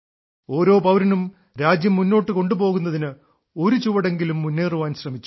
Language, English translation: Malayalam, Every citizen has tried to take a few steps forward in advancing the country